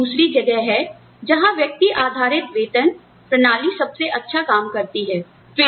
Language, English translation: Hindi, So, that is another place, where the individual based pay system, works best